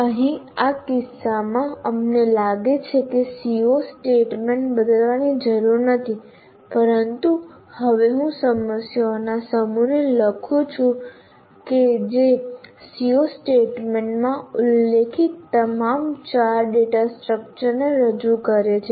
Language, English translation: Gujarati, Here in this case we find that there is no need to change the C O statement but now I write a set of problems that represent all the three data structures that were mentioned in the C O statement